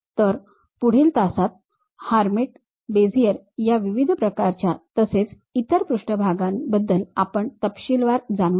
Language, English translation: Marathi, So, in the next class we will in detail learn about these different kind of surfaces like hermite, Bezier and other surfaces